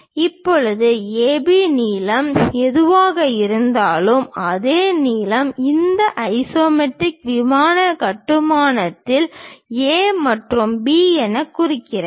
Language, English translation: Tamil, Now, whatever the length AB, the same length mark it as A and B on this isometric plane construction